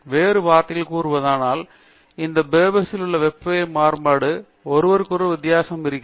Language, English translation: Tamil, In other words, the variability of temperature in both these beavers are quite different from each other